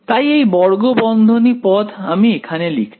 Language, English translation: Bengali, So, this square bracket term I am writing over here